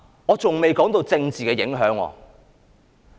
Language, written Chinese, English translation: Cantonese, 我還未談及政治的影響。, I have yet to talk about the political implications